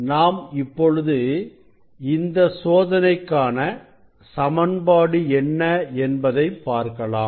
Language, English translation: Tamil, let us see the working formula for this experiment